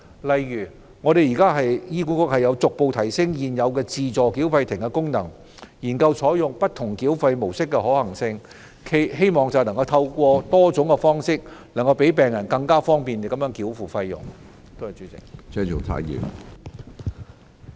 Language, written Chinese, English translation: Cantonese, 例如現時醫管局逐步提升現有自助繳費亭的功能，並研究採用不同繳費模式的可行性，希望透過多種方式，更利便病人繳付費用。, For example HA has been upgrading the functions of the existing self - payment kiosks in phases and making efforts to explore the feasibility of adopting various modes of payment with a view to providing greater convenience for patients to make their payment